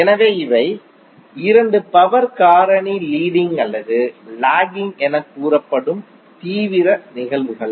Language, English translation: Tamil, So these are the 2 extreme cases in which power factor is said to be either leading or lagging